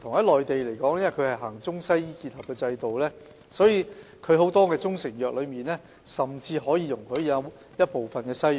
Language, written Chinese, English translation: Cantonese, 內地實行中西醫結合制度，所以很多中成藥甚至容許含有西藥成分。, The Mainland implements integrated practice of Chinese medicine and Western medicine therefore many proprietary Chinese medicines are allowed to contain Western medicine